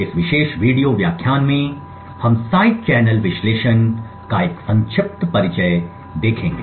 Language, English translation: Hindi, In this particular video lecture we will be looking at a brief introduction to Side Channel Analysis